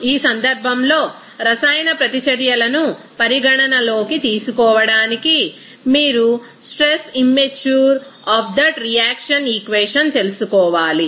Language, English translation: Telugu, In this case to consider a chemical reactions, you have to know the stress immature of that reaction equation